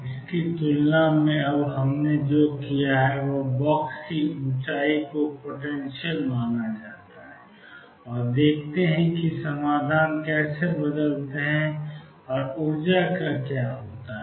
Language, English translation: Hindi, Compared to this now what we have done is taken the height of the box to be finite and let us see how the solutions change and what happens to the energy